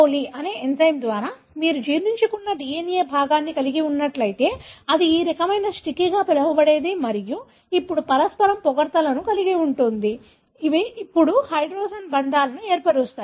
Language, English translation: Telugu, Like for example, if you have a DNA fragment digested by an enzyme EcoRI that we discussed earlier, so it would have this kind of what is called as sticky and which are complimentary to each other now, which can now go and form hydrogen bonds